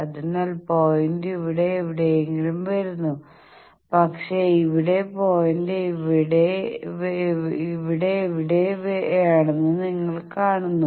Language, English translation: Malayalam, So the point comes somewhere here, but here you see the point is somewhere here